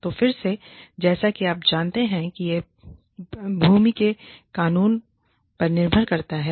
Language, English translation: Hindi, So again, you know, it depends on the law of the land